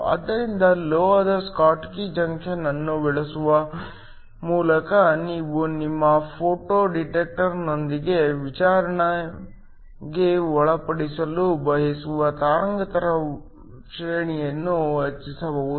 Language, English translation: Kannada, So, by using a metal schottky junction you can increase the wavelength range that you want to interrogate with your photo detector